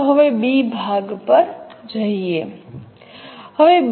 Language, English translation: Gujarati, Now let us go to the B part